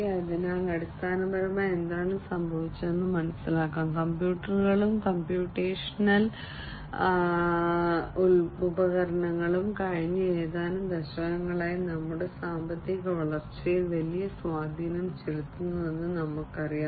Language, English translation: Malayalam, So, basically what has happened is as we know that computers, computational devices etcetera has had a huge impact in our economic growth in the last few decades